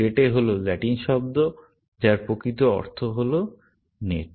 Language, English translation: Bengali, Rete is the latin word, which actually, means net, essentially